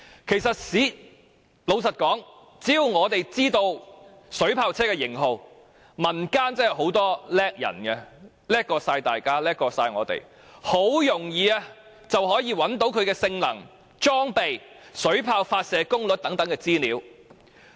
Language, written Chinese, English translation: Cantonese, 事實上，只要知道水炮車的型號，民間人才濟濟，其實很容易便能找到水炮車的性能、裝備及水炮發射功率等資料。, In fact with abundant talents in the community so long as the model of the water cannon vehicle is known it is easy to find out the information of the water cannon vehicle such as its performance equipment and shooting power